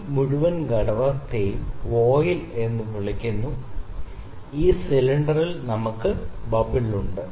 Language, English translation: Malayalam, This whole component is known as voile; the cylinder in which we have this bubble